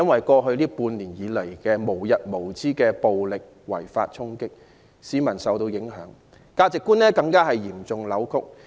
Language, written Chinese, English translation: Cantonese, 過去半年無日無之的違法暴力衝擊，令市民受到影響，價值觀更被嚴重扭曲。, The incessant illegal violent clashes in the past six months have not only affected the public but also seriously distorted peoples sense of values